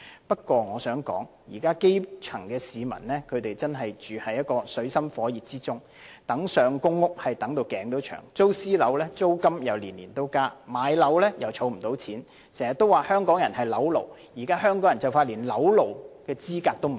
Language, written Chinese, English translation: Cantonese, 不過，我想指出，現時基層市民真是處於水深火熱之中，苦苦輪候入住公屋，租住私人樓宇又年年加租，想置業又儲不到錢，經常說香港人是"樓奴"，但現時香港人快連做"樓奴"的資格也沒有。, However I would like to point out at present the grass roots are living in an abyss of misery waiting desperately for PRH allocation; tenants of private rental flats have to face rental increases each year and those who aspire to home ownership can hardly save enough for down payment . We often say that Hong Kong people are property slaves but now they are not even qualified to be property slaves